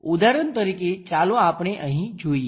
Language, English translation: Gujarati, For example, here let us look at that